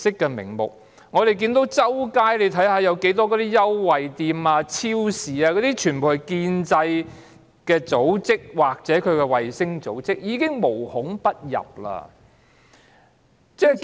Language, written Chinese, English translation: Cantonese, 我們看見滿街也是優惠店、超市，全部屬於建制派組織或其衞星組織，無孔不入。, We can also see that our streets are filled with discount stores and supermarkets all controlled by pro - establishment organizations or their satellite organizations which are all - pervasive